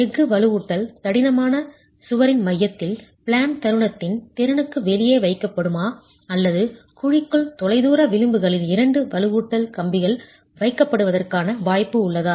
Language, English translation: Tamil, Is the steel reinforcement going to be placed for out of plane moment capacity in the center of the wall along the thickness or is there a possibility of having two reinforcement bars placed at the farthest edges within the cavity